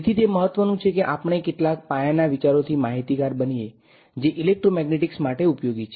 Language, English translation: Gujarati, So, it is important that we become comfortable with some basic ideas that are useful for electromagnetics